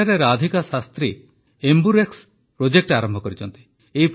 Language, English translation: Odia, Here Radhika Shastriji has started the AmbuRx Amburex Project